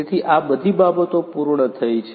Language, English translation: Gujarati, So, all of these things are done